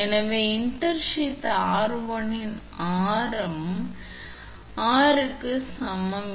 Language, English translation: Tamil, So, radius of intersheath r1 is equal to r alpha